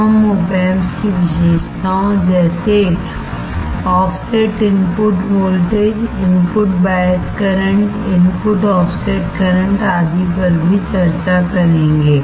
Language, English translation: Hindi, We will also discuss the the characteristics of op amp like offset input voltage, input bias current, input offset current etc